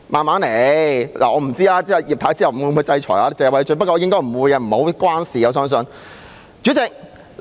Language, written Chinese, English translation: Cantonese, 我不知繼葉太之後，會否制裁謝偉俊議員，不過我相信應該不會。, I wonder whether sanctions will be imposed on Mr Paul TSE following Mrs IP but I believe that will not be the case